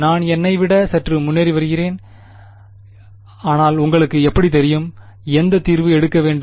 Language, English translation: Tamil, How I am getting a little ahead of myself, but how would you know which solution to take